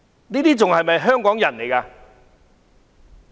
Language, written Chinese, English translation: Cantonese, 他們還算是香港人嗎？, Can they be regarded as Hong Kong people?